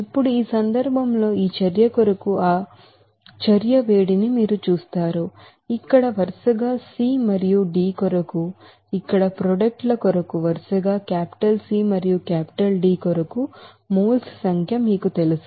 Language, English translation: Telugu, Now in this case, you will see that heat of reaction for this reaction, it will be as you know number of moles for products here c and d for C and D respectively here